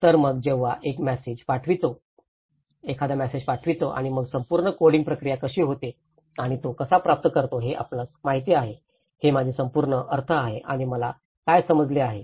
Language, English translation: Marathi, So one when the sender sends a message and then how the whole coding process and how he receives it you know, this whole what I mean and what I understand